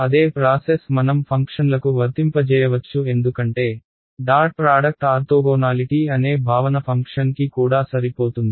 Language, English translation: Telugu, The same process I can apply to functions because, the concept of dot product orthogonality holds to a functions also right